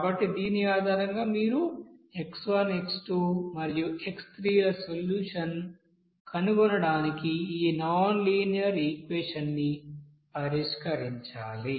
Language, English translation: Telugu, So based on this, you have to solve this nonlinear equation to find out the solution for x1, x2 and x3